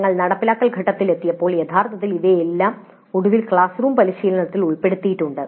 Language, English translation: Malayalam, Then we came to the implement phase where actually all these things really are put into the final classroom practice